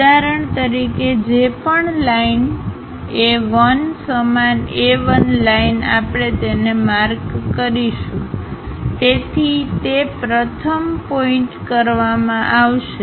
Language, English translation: Gujarati, For example, whatever the line A 1, same A 1 line we will mark it, so that first point will be done